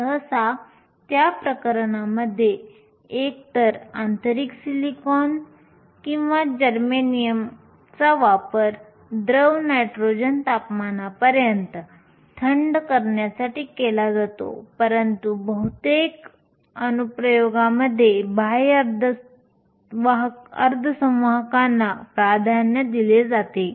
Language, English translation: Marathi, Usually, in those cases either intrinsic silicon or germanium is used cooled to around liquid nitrogen temperatures, but for most applications extrinsic semiconductors are preferred